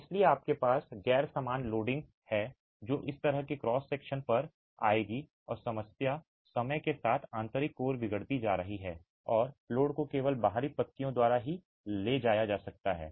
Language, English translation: Hindi, So, you have non uniform loading that will come on to such cross sections and the problem is the inner core over time deteriorates and load may finally be carried only by the exterior leaves